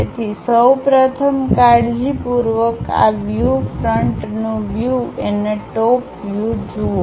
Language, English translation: Gujarati, So, first of all carefully visualize these views, the front view and the top view